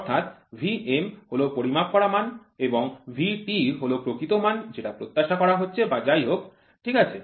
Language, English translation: Bengali, So, V m is the measured value and V t is the true value what is expected or whatever it is, right